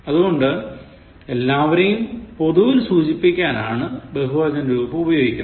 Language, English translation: Malayalam, So, the plural form is indicating I am referring to all in general